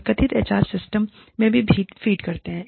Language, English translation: Hindi, They also feed into the, perceived HR systems